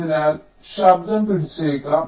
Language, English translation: Malayalam, so noise might get captured